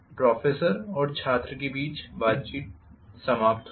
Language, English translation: Hindi, Conversation between professor and student ends